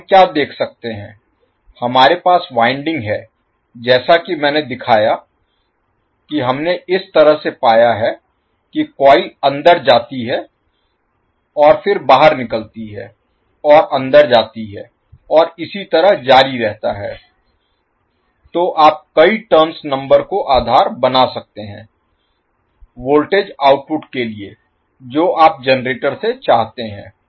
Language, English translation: Hindi, So, what we can see, we, we have wound as I shown that we have found in such a way that the coil goes inside and then comes out and goes inside and so, so, you can take multiple number of turns based on the voltage output which you want from the generator